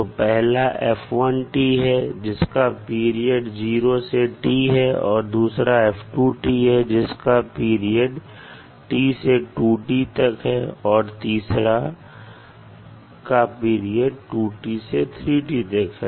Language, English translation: Hindi, Second is f to 2 t which is has a period between t to 2t and third is having the period between 2t to 3t